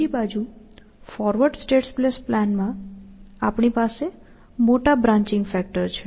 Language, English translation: Gujarati, On the other hand, in forward state space planning, we had large branching factor